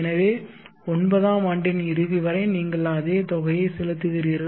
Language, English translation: Tamil, So till the end of the nth year you are paying the same amount D